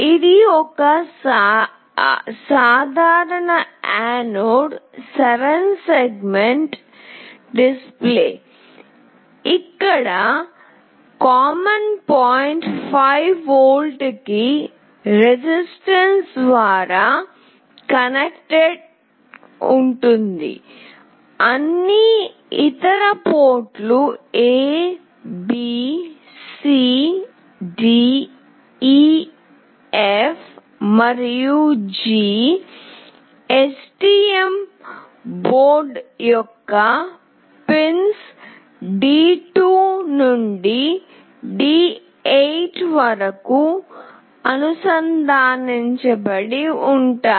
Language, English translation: Telugu, This is a common anode 7 segment display, where the common port is connected through a resistance to 5V and all other ports, that is A, B, C, D, E, F, and G, are connected to pins D2 to D8 of this STM board